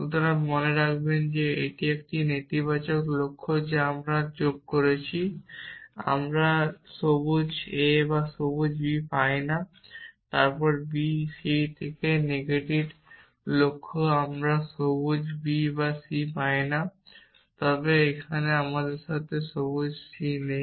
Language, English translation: Bengali, So, remember this is a negated goal that we have added we get not green a or green b then from on b c and the negated goal we get not green b or green c, but here we have side not green c